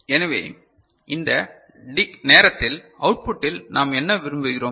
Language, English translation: Tamil, So, at that time what we want at the output